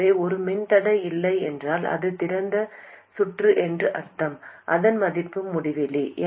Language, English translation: Tamil, So, when a resistance is not there, meaning it is open circuited, its value is infinity